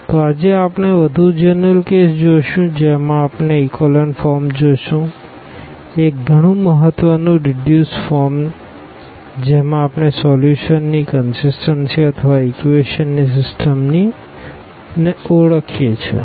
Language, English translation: Gujarati, So, today we will go for more general case where we will see these echelon form, a very important reduced form where we can identify about the consistency of the solution or the system of equations